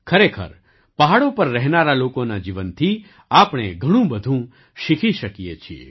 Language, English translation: Gujarati, Indeed, we can learn a lot from the lives of the people living in the hills